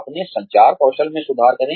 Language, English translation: Hindi, Improve your communication skills